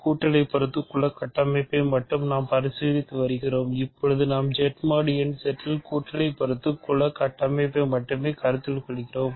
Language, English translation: Tamil, We are only considering the additive group structure, for now we are only considering the additive group structure of Z mod n Z ok